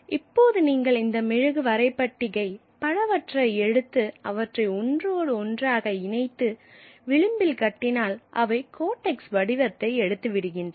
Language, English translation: Tamil, Now if you take several of these wax tablets and put them together and tie them at the edge then they would become, it became, it took the form of a codex